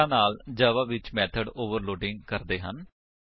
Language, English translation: Punjabi, So, in such cases java provides us with method overloading